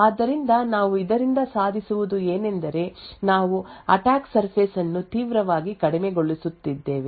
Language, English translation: Kannada, So, what we achieve by this is that we are drastically reducing the attack surface